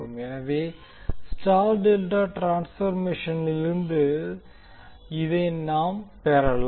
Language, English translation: Tamil, So this is what we can get from the star delta transformation